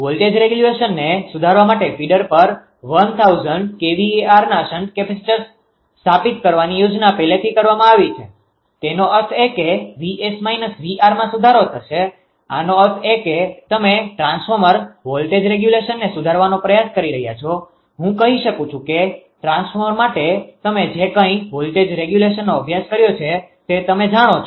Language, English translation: Gujarati, It has already been planned to install 1000 kilo hour of shunt capacitors on the feeder to improve the voltage regulation; that means, that your what you call that V s minus V r will improve; that means, you are trying to improve the transformer voltage your ah regulation I can say that you know that whatever voltage regulation I have studied for the transformer, right